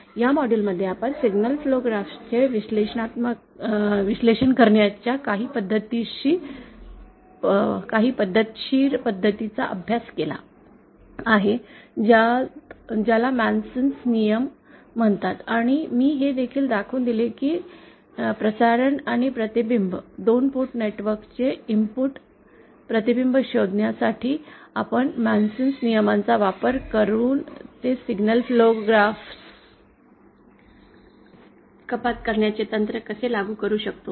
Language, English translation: Marathi, In this module we have studied somewhat systematic way of analysing the signal flow graph which is called the MasonÕs rule and I also showed you how we can apply this signal flow graph reduction technique using the MasonÕs rules to find out the transmission and the reflection, input reflection coefficient of a 2 port network